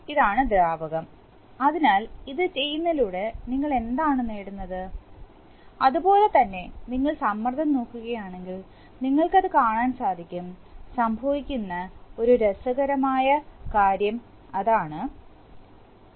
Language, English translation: Malayalam, This is the fluid, so what are we achieving by doing this, similarly if you look at the pressure, if you look at the pressure then you will find that, so you see that, suppose the, one interesting thing that happens is that, suppose A is equal to 0